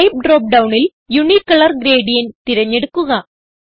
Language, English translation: Malayalam, In the Type drop down, select Unicolor gradient